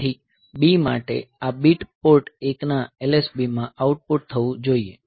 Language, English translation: Gujarati, So, B this bit should be outputted to LSB of Port 1